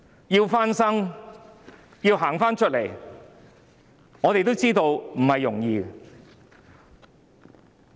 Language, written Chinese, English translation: Cantonese, 要復蘇，要走出困局，我們也知道並不容易。, We know it is by no means easy to recover and get out of the predicament